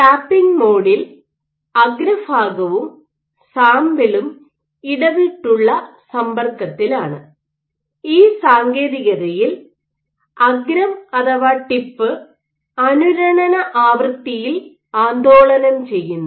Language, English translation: Malayalam, So, in tapping mode what you do is your tip and sample are in intermittent contact and in this technique the tip is oscillated at resonance frequency